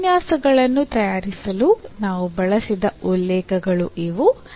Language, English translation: Kannada, So, these are the references we have used to prepare these lectures and